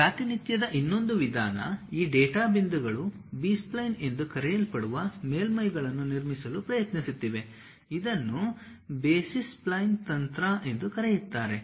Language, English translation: Kannada, ah The other way of representation, these data points trying to construct surfaces called B splines, which is also called as basis splines technique